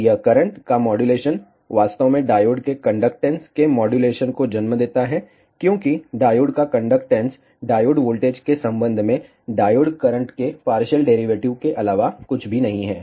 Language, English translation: Hindi, And this modulation of current actually gives rise to a modulation of conductance of the diode, because the diode conductance is nothing but the partial derivative of diode current with respect to the diode voltage